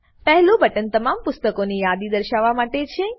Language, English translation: Gujarati, The first one is to list all the books